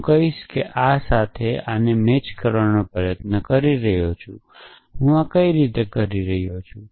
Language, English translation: Gujarati, I would say I am trying to match this with this, how can I do this